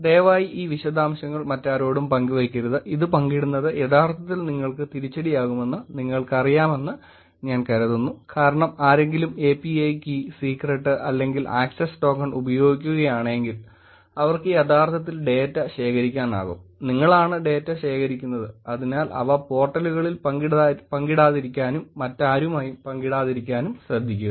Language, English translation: Malayalam, Please do not share these details to anybody else, I think I am sure you understand already that sharing this can actually backfire on you because if somebody is using API key, secret or access token, they could actually collect data and it will look as if you are the one who is collecting the data and so please be careful about not sharing them on the portals, not sharing them with anybody else also